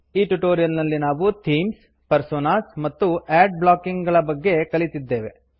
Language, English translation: Kannada, In this tutorial, we learnt about: Themes, Personas, Ad blocking Try this assignment